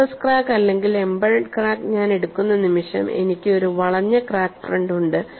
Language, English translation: Malayalam, The moment I go for surface crack or embedded crack, I have a curved crack